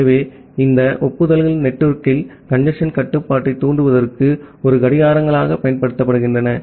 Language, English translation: Tamil, So, here these acknowledgements are used as a clocks to trigger the congestion control in the network